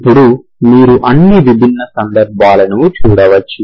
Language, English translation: Telugu, Now you can look at all the different cases